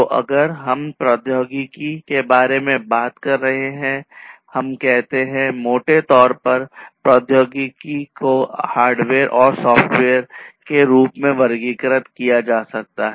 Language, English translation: Hindi, So, if we are talking about technology we let us say, technology broadly can be classified as hardware and software